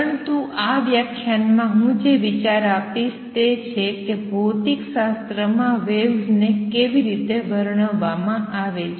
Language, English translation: Gujarati, But what I want to do in this lecture is give you an idea as to how waves are described in physics